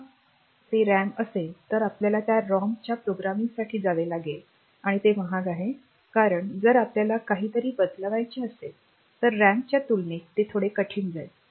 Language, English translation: Marathi, So, if it is ROM then we have to go for programming of that ROM and that is costly because again if we want to change something erasing will also become bit difficult compared to RAM